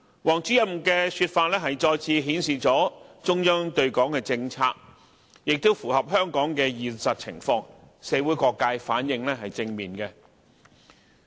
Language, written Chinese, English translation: Cantonese, 王主任的說法再次表明了中央對港的政策，亦符合香港的現實情況，社會各界反應正面。, Director WANGs words are a reiteration of the Central Authorities policy towards Hong Kong . They are in line with the actual circumstances in Hong Kong so the responses of different social sectors have been positive